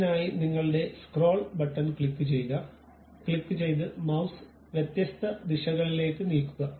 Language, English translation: Malayalam, For that purpose you click your scroll button, click and move the mouse in different directions ok